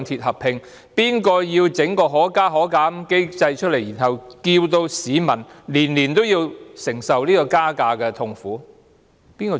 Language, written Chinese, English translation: Cantonese, 誰設立可加可減機制，令市民每年承受車費增加的痛苦？, Who set up the Fare Adjustment Mechanism FAM which inflicts the suffering of fare increase on people every year?